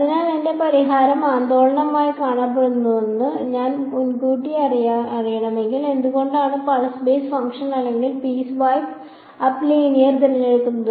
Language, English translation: Malayalam, So, if I know beforehand that my solution is going to look oscillatory then why choose pulse basis function or piece wise up linear